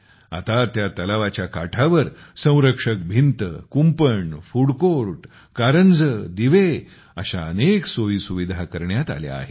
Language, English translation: Marathi, Now, many arrangements have been made on the banks of that lake like retaining wall, boundary wall, food court, fountains and lighting